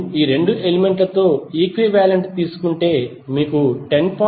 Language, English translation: Telugu, If you take the equivalent of these 2 elements, you will get 10